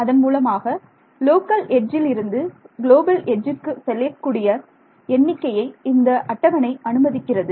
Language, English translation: Tamil, So, we also have to keep a table which allows me to go from a local edge to a global edge numbering